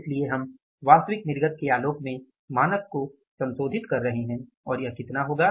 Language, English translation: Hindi, So we are revising the standard in the light of the actual output and this will work out as how much